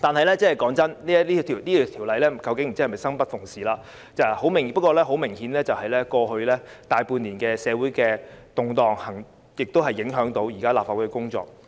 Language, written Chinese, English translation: Cantonese, 老實說，不知是否《條例草案》生不逢時，過去大半年的社會動盪亦明顯影響到現時立法會的工作。, Honestly the Bill comes at a bad time . Social unrest which persisted for the large part of last year has obviously affected the work of the Legislative Council